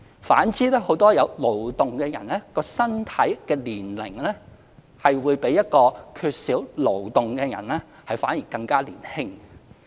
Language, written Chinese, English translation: Cantonese, 反之，很多有勞動的人其身體、年齡會較一個缺少勞動的人更加"年青"。, On the contrary many people who have engaged in labour will have a younger body and look younger than people who do not labour